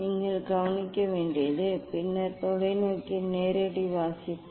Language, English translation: Tamil, that you have to note down, then direct reading of the telescope